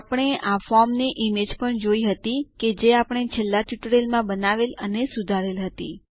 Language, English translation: Gujarati, We also saw this image of the form that we started creating and modifying in the last tutorial